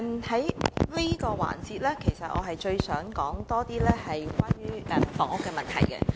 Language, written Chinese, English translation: Cantonese, 主席，在這個環節，其實我想多些談及房屋問題。, President in this session I actually wish to talk more about the housing problem